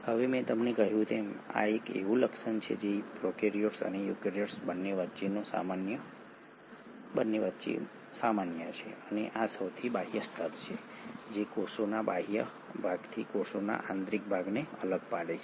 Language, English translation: Gujarati, Now as I told you this is a feature which is common both between the prokaryotes and the eukaryotes and it is this outermost layer which segregates the interior of a cell from the exterior of a cell